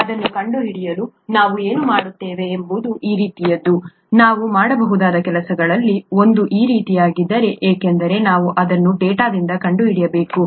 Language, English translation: Kannada, To find that out, what we do is something like this, one of the things that we can do is something like this because we’ll have to find that out from data